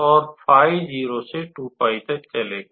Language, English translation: Hindi, And phi will run from 0 to 2 pi all right